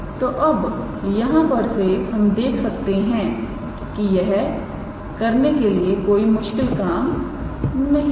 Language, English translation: Hindi, So, you can check from here to here that is not an is it is a difficult task to do